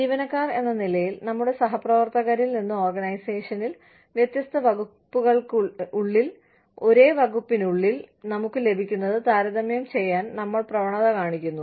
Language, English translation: Malayalam, As employees, we tend to compare, what we get with our peers, within the organization, within different departments, within the same department